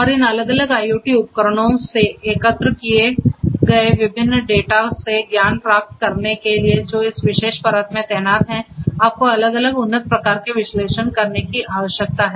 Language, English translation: Hindi, And in order to get the knowledge out of the different data that are collected from these different IoT devices that are deployed in this particular layer; you need to have different advanced forms of analytics in place